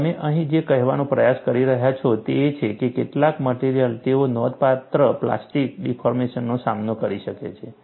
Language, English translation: Gujarati, And what you are trying to say here is, certain materials they can withstand substantial plastic deformation